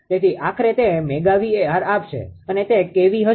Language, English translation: Gujarati, So, ultimately it will give mega bar it will kv